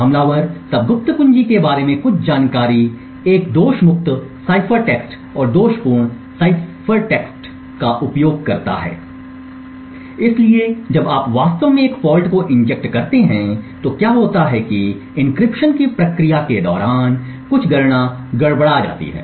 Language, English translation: Hindi, The attacker then uses a fault free cipher text and the faulty cipher text to in some information about the secret key, so what happens when you actually inject a fault is that some computation during the process of encryption gets disturbed